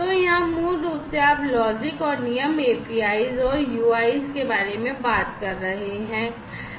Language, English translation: Hindi, So, here basically you are talking about logics and rules APIs and UIs